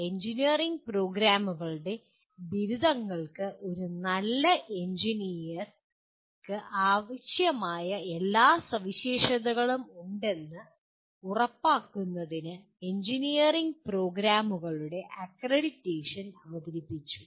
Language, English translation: Malayalam, So accreditation of engineering programs was introduced to ensure that graduates of engineering programs have all the requisite characteristics of a good engineer